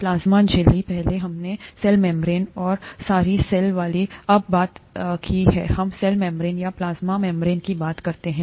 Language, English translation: Hindi, The plasma membrane; earlier we talked of the cell membrane, the, oh sorry, the cell wall, now let us talk of the cell membrane or the plasma membrane